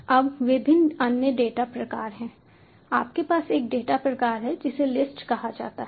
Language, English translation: Hindi, now various other data types are: you have a data type called list, so list is an order sequence of items